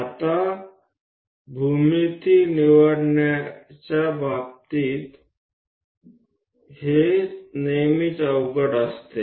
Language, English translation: Marathi, Now a geometry this is always be difficult in terms of choosing it